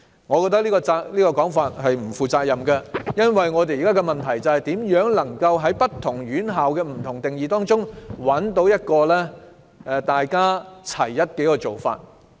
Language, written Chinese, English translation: Cantonese, 我認為這種說法是不負責任的，因為問題是如何在不同院校作出的不同定義中，找出一個劃一的做法。, I think this is an irresponsible comment because the question is how to come up with a uniform approach while various institutions have different definitions